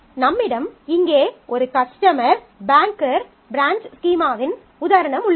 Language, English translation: Tamil, So, here is an example of a schema; so, we have a customer banker branch